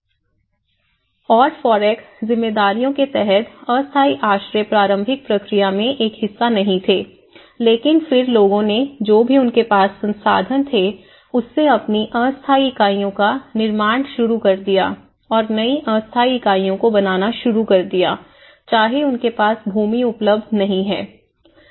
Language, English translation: Hindi, And under the FOREC responsibilities, temporary shelters was not been a part in the initial process but then, people have started building their temporary units whatever the resources they had so, this is where the temporary shelters and building new temporary units have already started, in whatever the lands they are not available